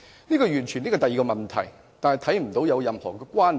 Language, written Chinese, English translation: Cantonese, 這完全是另一個問題，我看不到兩者有任何關連。, This is completely another question . I see no correlation between the two